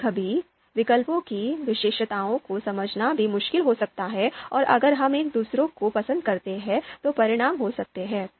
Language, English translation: Hindi, Sometimes it might be difficult to even understand the characteristics of alternatives and in case we you know prefer one over the other, what are going to be the consequences